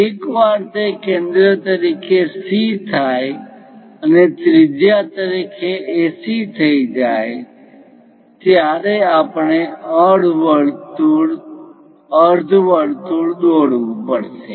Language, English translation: Gujarati, Once that is done C as centre and AC as radius we have to draw a semicircle